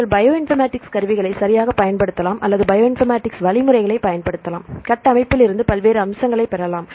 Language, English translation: Tamil, You can use the Bioinformatics tools right or you can use the Bioinformatics algorithms, to derive various features from the structures right